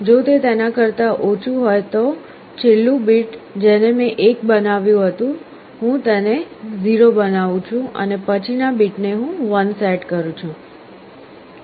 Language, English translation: Gujarati, If it is less than, in the last bit which I had made 1, I make it 0 and the next bit I set to 1